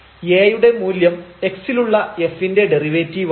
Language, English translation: Malayalam, So, this A is nothing, but this f prime x the derivative